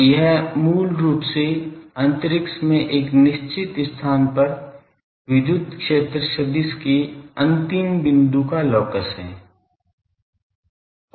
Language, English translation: Hindi, So, the it is basically the locus of the end point of the electric field vector at a fixed location in space